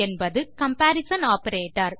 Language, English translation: Tamil, This is the first comparison operator